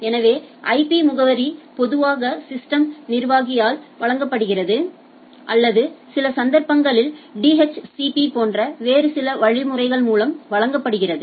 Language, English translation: Tamil, So, these IP address is typically provided by the system system admin or in some cases are provided through some other mechanism like DHCP and type of things right